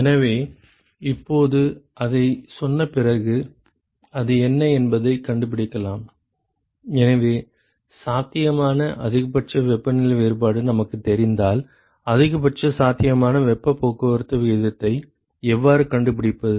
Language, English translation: Tamil, So, now, having said that can we find out what is the; so, if we know the maximum possible temperature difference, how do we find the maximum possible heat transport rate